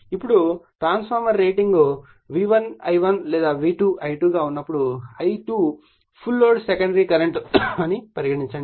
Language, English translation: Telugu, Now, transformer rating is either V1 I1 or V2 I2 when I2 is the full load say secondary current